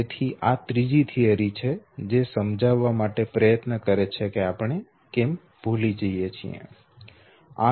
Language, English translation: Gujarati, There are series of theories which explains why people forget